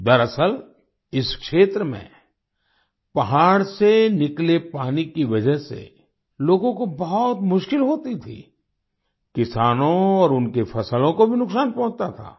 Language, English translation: Hindi, In fact, in this area, people had a lot of problems because of the water flowing down from the mountain; farmers and their crops also suffered losses